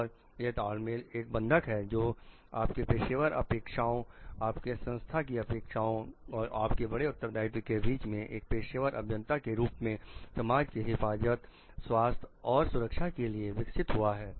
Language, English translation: Hindi, And it is a synergy which burns which is a bond which develops between your professional expectations your organizations expectations and your greater responsibility as a professional engineer to the safety health and security of the public at large